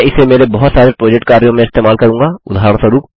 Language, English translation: Hindi, I will be using this in a lot of my project work